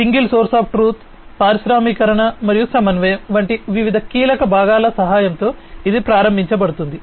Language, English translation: Telugu, And this will be enabled with the help of different key parts such as IT, single source of truth, industrialization, and coordination